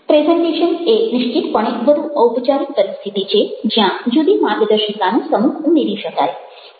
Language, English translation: Gujarati, presentation is definitely a much more formal ah situation where ah a different set of guidelines can be added